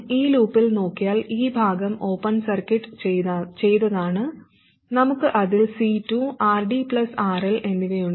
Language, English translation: Malayalam, And if we look in this loop, this part is open circuited, we have C2 and RD plus RL across it